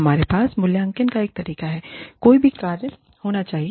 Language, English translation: Hindi, We should have, a way of evaluating, any function